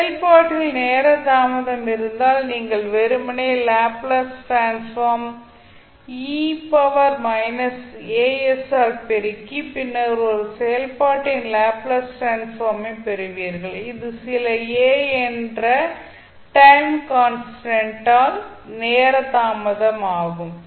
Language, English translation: Tamil, So in this if you have a time delay in function, you will simply multiply the Laplace transform by e to the power minus a s and then you will get the Laplace transform of a function which is delayed by delayed in time by some constant value a